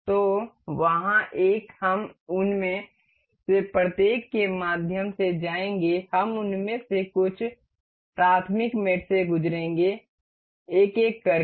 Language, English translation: Hindi, So, there one, we will go through each of them some, we will go through some elementary mates of them out of these one by one